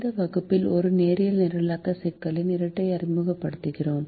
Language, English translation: Tamil, in this class we introduce the dual of a linear programming problem